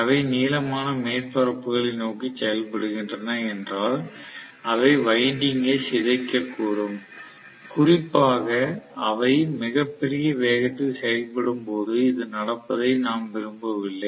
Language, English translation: Tamil, So if they are acting towards the protruding surfaces they can deform the winding, we do not want the deformation to happen, especially when they are working at very large speeds